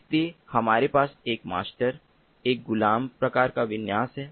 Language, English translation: Hindi, so we have one master, one slave kind of configuration